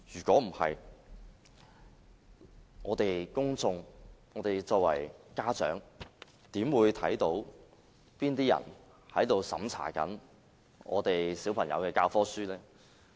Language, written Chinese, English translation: Cantonese, 否則，公眾和作為家長的市民，又怎會知道哪些人正在審查小朋友的教科書呢？, If names are not disclosed how can members of the public and parents know who are censoring their childrens textbooks